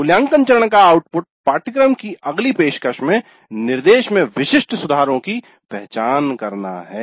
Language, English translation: Hindi, The output of evaluate phase is to identify specific improvements to instruction in the next offering of the course